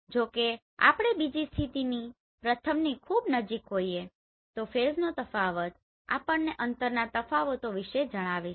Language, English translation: Gujarati, However, if we view from another position very close to the first then the difference in phase tell us about the differences in the distance